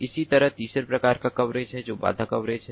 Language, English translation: Hindi, similarly, there is the third type of coverage, which is the barrier coverage